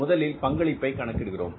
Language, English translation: Tamil, First we calculate the contribution